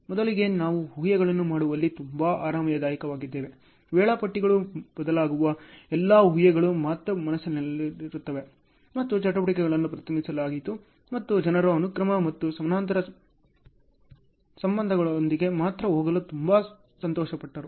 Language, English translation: Kannada, Earlier we were very comfortable in making assumptions, all the assumptions varying the schedulers mind only; and the activities were represented and the people were very happy to go with sequential and parallel relationships alone